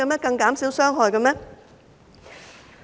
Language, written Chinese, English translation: Cantonese, 更減少傷害嗎？, Can they not be less harmful?